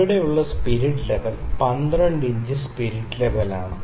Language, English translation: Malayalam, So, this spirit level that we have here is a 12 inch spirit level